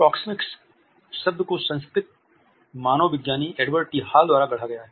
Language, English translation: Hindi, The term proxemics has been coined by the cultural anthropologist, Edward T Hall